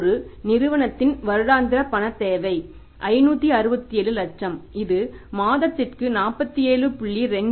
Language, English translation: Tamil, There is a firm whose annual requirement of the cash is 567 lakh whose monthly requirement of the cash is 47